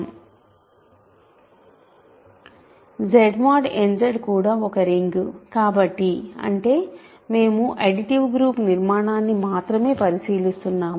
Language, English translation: Telugu, So of course, Z mod n Z is also a ring so; that means, we are only considering the additive group structure